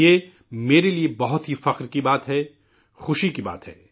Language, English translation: Urdu, For me, it's a matter of deep pride; it's a matter of joy